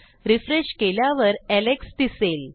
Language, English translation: Marathi, Refresh and you can see Alex